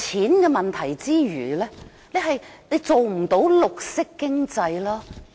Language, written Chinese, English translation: Cantonese, 浪費金錢之餘，政府亦不能做到綠色經濟的效果。, Apart from wasting money the Government has also failed to achieve the intended effect of a green economy